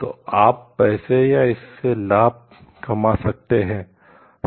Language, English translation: Hindi, So, you can make money or profit out of it